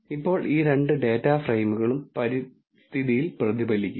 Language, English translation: Malayalam, Now both these data frames will be reflected in the environment